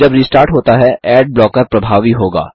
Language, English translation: Hindi, When it restarts, the ad blocker will take effect